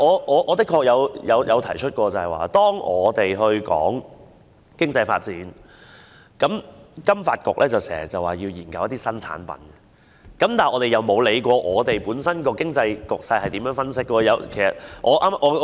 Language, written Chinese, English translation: Cantonese, 我確曾指出，每當我們談到經濟發展，金發局便說要研究新產品，我們卻沒有分析香港本身經濟局勢是如何。, I certainly have made the point that every time we talk about economic development the FSDC will indicate in response that study on new products is required but no efforts will be made to analyse the economic situation at home